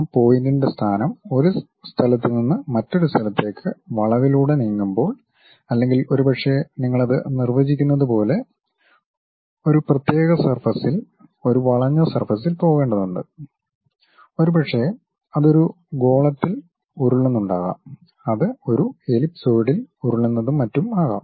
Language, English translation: Malayalam, With the time the location of that point moving from one location to another location along the curve or perhaps you are defining something like it has to go along particular surface like a curved surface, maybe it might be rolling on a sphere, it might be rolling on an ellipsoid and so on